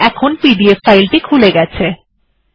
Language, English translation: Bengali, And it has opened the pdf reader